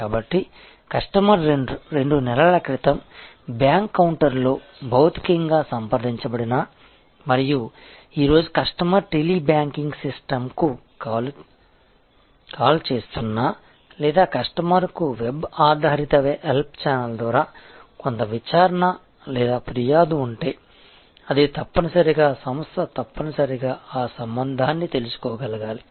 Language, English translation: Telugu, So, whether the customer has contacted two months back physically at the bank counter and today the customer is calling the Tele banking system or customer has some enquiry or complaint through the web based help channel, it is the organization must be able to connect the dots